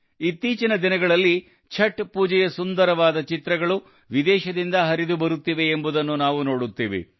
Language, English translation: Kannada, Nowadays we see, how many grand pictures of Chhath Puja come from abroad too